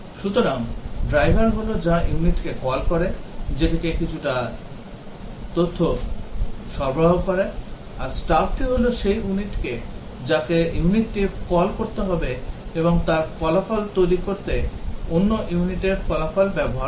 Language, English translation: Bengali, So, driver is the one which calls the unit, provides some data to it; and the stub is the one which the units needs to call and uses the result of the other unit to produce its results